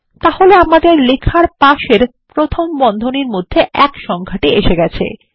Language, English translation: Bengali, So the number one in parentheses has appeared next to our text